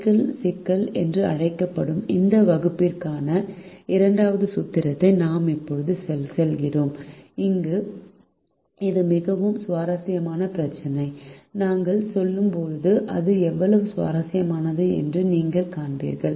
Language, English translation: Tamil, we now move on to this second formulation for this class, which is called by cycle problem, and it's a very interesting problem and you will see how interesting it is as we move along now